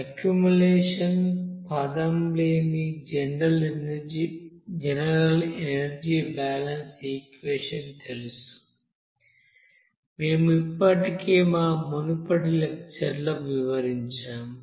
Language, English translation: Telugu, We know that general energy balance equation where there is no accumulation terms, we have already described in our earlier lecture